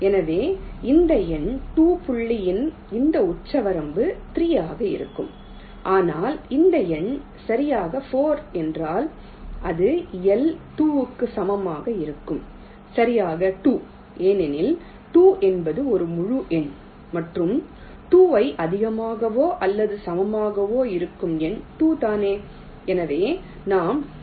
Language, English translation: Tamil, but if this number is exactly four, that that is l equal to two, then this will be exactly two, because two is an integer, and smallest number greater than or equal to two is two itself